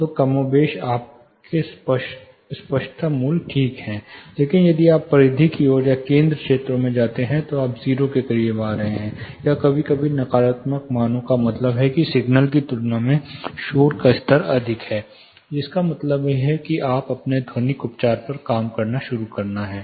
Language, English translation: Hindi, So, more or less your clarity values are ok, but if you go towards the periphery or in the centre areas, you are coming close to 0, or sometimes negative values which mean the noise levels are more, compare to the signal itself, which means you have to start working your acoustical treatment